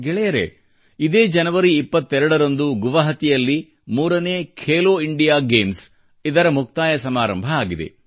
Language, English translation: Kannada, Friends, on 22nd January, the third 'Khelo India Games' concluded in Guwahati